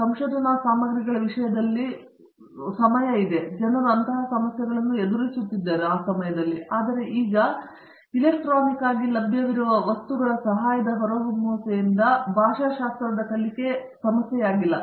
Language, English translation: Kannada, And, in terms of research materials also we there was a time and people face such problems, but now with the emergence of electronic help available in materials being available electronically that is no more a problem